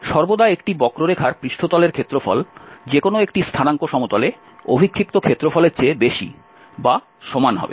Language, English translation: Bengali, Always the surface area of a curve, of a surface is going to be more or equal than the projected one in one of the coordinate planes